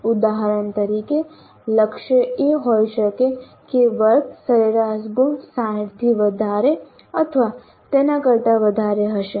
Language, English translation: Gujarati, For example, the target can be that the class average marks will be greater than are equal to 60